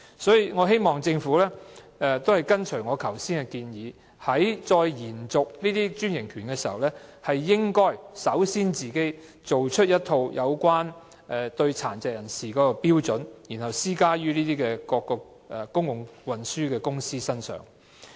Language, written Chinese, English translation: Cantonese, 所以，我希望政府按照我剛才提出的建議，在延續專營權的時候，應該首先就殘疾人士的服務訂立一套標準，然後施加於各公共交通公司的身上。, In this connection I hope that the Government will take on board the suggestion that I made earlier and draw up as the first step a set of standards for services for PWDs in tandem with the renewal of the bus franchise and then apply these standards to various public transport service operators